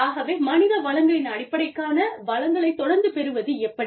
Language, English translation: Tamil, So, how and getting a constant inflow of resources, for the human resources base